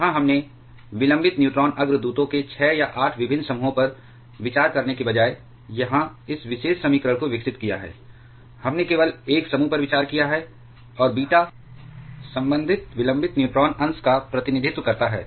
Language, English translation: Hindi, Where we have developed this particular equation here instead of considering 6 or 8 different groups of delayed neutron precursors, we have considered just a single group and beta represents corresponding delayed neutron fraction